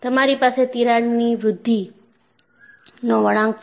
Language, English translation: Gujarati, And you have the crack growth curve